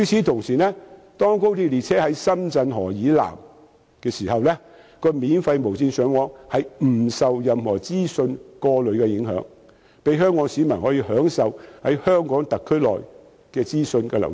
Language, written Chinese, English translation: Cantonese, 同時，當高鐵列車駛至深圳河以南後，免費無線上網不會受任何資訊過濾的影響，讓香港市民可以在香港特區內享受資訊流通。, Also the access to information via free Wi - Fi on XRL trains will not be filtered in areas south of the Sham Chun River so that Hong Kong people can enjoy free flow of information in the Hong Kong SAR